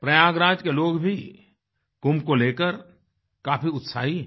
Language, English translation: Hindi, People of Prayagraj are also very enthusiastic about the Kumbh